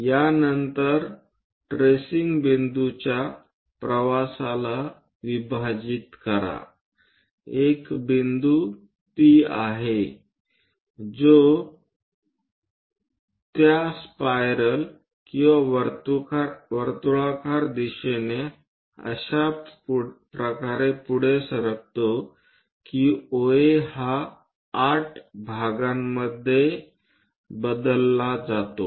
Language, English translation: Marathi, After that divide the travel of the tracing point there is a point P which is moving on that spiral or circular direction in such a way that OA into 8 parts with numbers